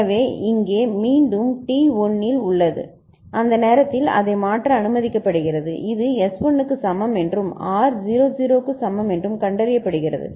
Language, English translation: Tamil, So, here again it is at T 1 it is allowed to change at that time it finds that S is equal to 1 and R is equal to 0 ok